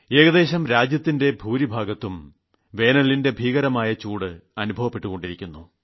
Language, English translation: Malayalam, Almost the entire country is reeling under the scorching impact of severe heat